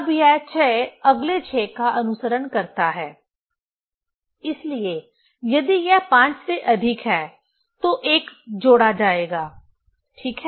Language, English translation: Hindi, Now, this 6 is followed the next 6; so, if it is more than 5, 1 will be added, ok